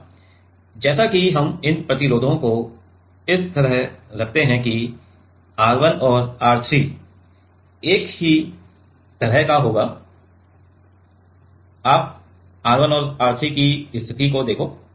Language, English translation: Hindi, Now, as we put this resistors in such a way that R 1 and R 3 will have same kind of so, you see the position of R 1 and R 3